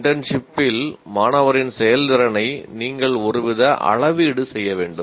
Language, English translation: Tamil, You have to have some kind of measurement of the performance of the student in the internship